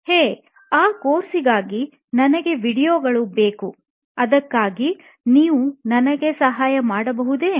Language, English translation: Kannada, Hey, I need videos for that course, can you help me with that